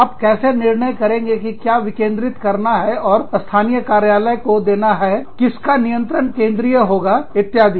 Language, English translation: Hindi, How do you decide, what to decentralize, what to pass on to the local offices, what to control centrally, etcetera